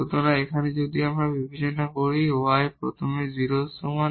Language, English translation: Bengali, So, here if we consider the y is equal to 0 first